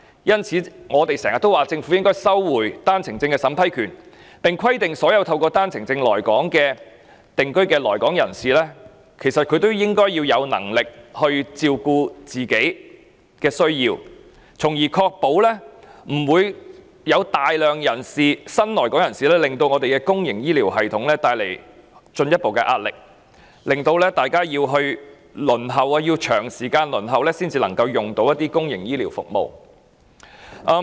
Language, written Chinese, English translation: Cantonese, 因此，我們經常提出政府應取回單程證審批權，並規定所有透過單程證來港定居的新來港人士須有能力照顧自己的需要，從而避免大量新來港人士為公營醫療系統帶來進一步壓力，以及市民需輪候長時間才能享用公營醫療服務。, This explains why we have been saying that the Government should take back the authority to vet and approve One - way Permit applications and require that all new arrivals who come to settle in Hong Kong on One - way Permits must be financially capable of meeting their own needs so as to avoid further pressure on our public healthcare system resulting from the massive influx of new arrivals and also the long waiting time for public healthcare services among people